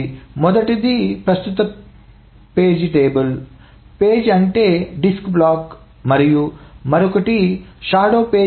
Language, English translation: Telugu, So first one is the current page table, page mean the disk block and the other one is the shadow page table